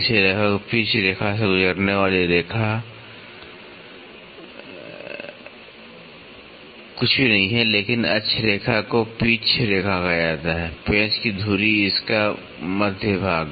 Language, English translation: Hindi, The line passing it almost pitch line is nothing, but the axis line is called as the pitch line, the axis of the screw the centre portion of it